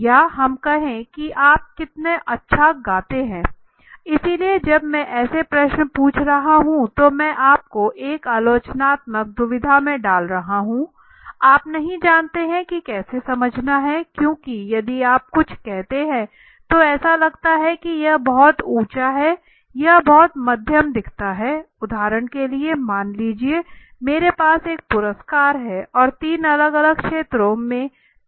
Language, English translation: Hindi, Or let us say how nicely do you sing right so when I am asking such questions I am putting you in a critical dilemma you do not know how to explain because if you say something then it would look may be it is pretty high to me or it look pretty moderate to me right suppose for example let say I have one award to offer and there are three peoples from three different fields